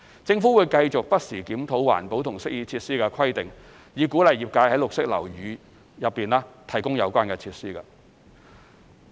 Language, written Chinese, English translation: Cantonese, 政府會繼續不時檢討環保及適意設施的規定，以鼓勵業界在綠色樓宇內提供有關設施。, The Government will continue to review the requirements for green and amenity features from time to time to encourage such provisions in green buildings